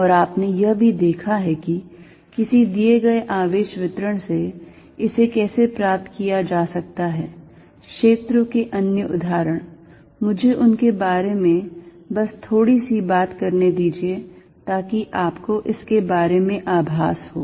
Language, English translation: Hindi, And you also seen, how to obtain it from a given charge distribution, other the example of fields, let me just talk a bit about them, so that you get a feeling for this